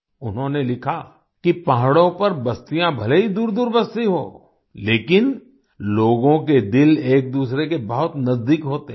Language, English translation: Hindi, He wrote that the settlements on the mountains might be far apart, but the hearts of the people are very close to each other